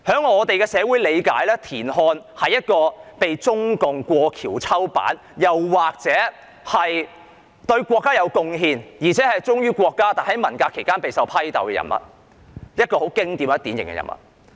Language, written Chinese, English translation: Cantonese, 我們的理解是，田漢被中共過河拆橋，或者說，他是一位對國家有貢獻而且忠於國家，但在文革期間備受批鬥的典型人物。, Our understanding is that CPC was ungrateful to TIAN Han and left him in the lurch; or TIAN Han was a typical figure who was loyal and had made contributions to the country but was severely denounced during the Cultural Revolution